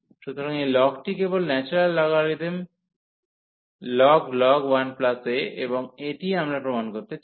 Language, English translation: Bengali, So, this log is just the natural logarithmic ln and 1 plus a, and this what we want to prove